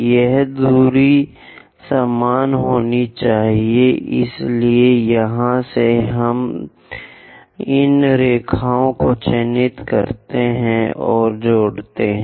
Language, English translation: Hindi, This distance supposed to be same as, so from here, let us mark and join these lines